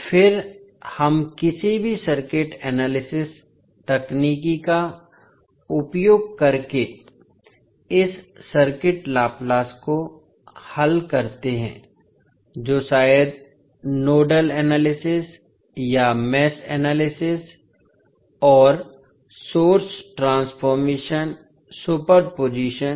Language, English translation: Hindi, And then we solve this circuit laplace using any circuit analysis technique that maybe nodal analysis or mesh analysis, source transformation superposition and so on